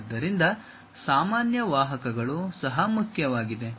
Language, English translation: Kannada, So, normal vectors are also important